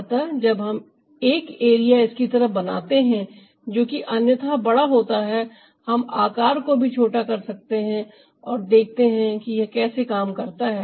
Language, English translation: Hindi, so when we create one area like this, which is otherwise enlarge, we can also decrease the size and see how it works